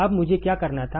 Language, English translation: Hindi, Now, what I had to do